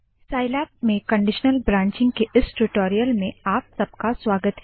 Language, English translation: Hindi, Welcome to the spoken tutorial on Conditional Branching in Scilab